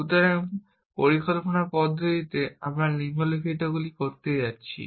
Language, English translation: Bengali, So, in planning systems we are going to do the following